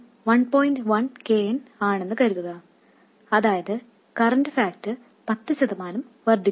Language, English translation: Malayalam, 1 times KM, that is the current factor has increased by 10%